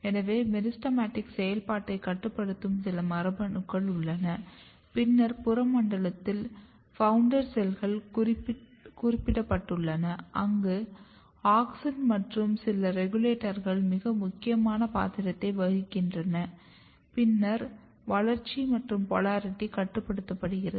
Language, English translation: Tamil, So, there is a meristematic activity some of the genes which is regulating meristematic activity, and then in the peripheral zone the founder cells has been specified where auxin and some of the regulators are playing very important role and then outgrowth and polarity is regulated